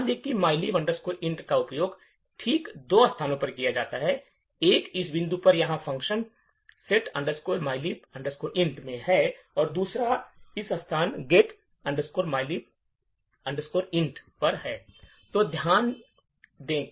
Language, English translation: Hindi, Notice that a mylib int is used in exactly two locations, one is at this point over here in function setmylib int and the second one is at this location getmylib int